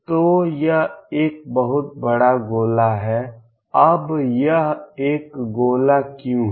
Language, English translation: Hindi, So, this is a huge sphere, now why is it is sphere